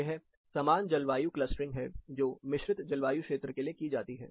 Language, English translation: Hindi, This is similar climate clustering, which is done for composite climatic region